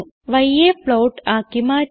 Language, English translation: Malayalam, Let us change y to a float